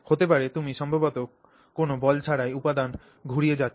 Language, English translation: Bengali, So, you may actually be just rotating material material without any ball in it